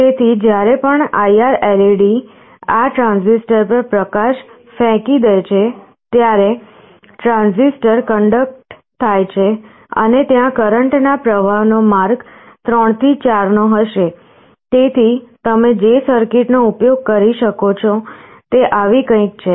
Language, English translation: Gujarati, So, whenever this IR LED throws a light on this transistor, the transistor conducts and there will be a current flowing path from 3 to 4